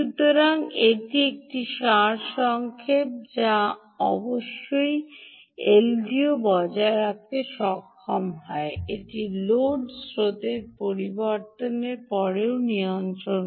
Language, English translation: Bengali, so this is a big summary that indeed ldo is able to maintain its regulation in spite of the load currents changing